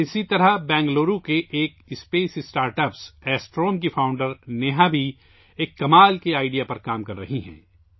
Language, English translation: Urdu, Similarly, Neha, the founder of Astrome, a space startup based in Bangalore, is also working on an amazing idea